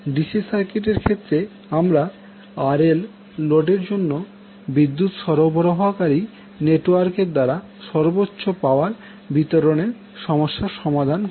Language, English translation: Bengali, So, in case of DC circuit we solve the problem of maximizing the power delivered by the power supplying network to load RL